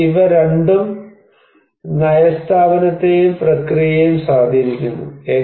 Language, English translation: Malayalam, But these two also is influencing the policy institution and process